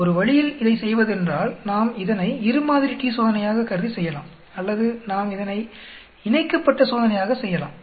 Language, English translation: Tamil, One way of doing this is we can assume this as two sample t Test and do it or we can also do it by pair